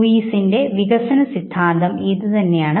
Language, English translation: Malayalam, Lewis proposed a developmental theory suggesting